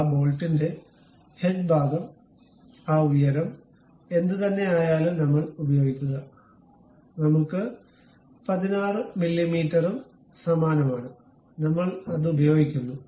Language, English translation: Malayalam, We use same the head portion of that bolt whatever that height, we have the same 16 mm, we use it